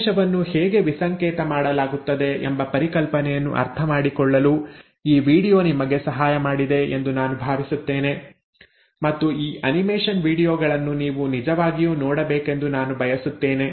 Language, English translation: Kannada, I hope this video has helped you understand the concept of how the message is decoded and I would like you to really go through these animation videos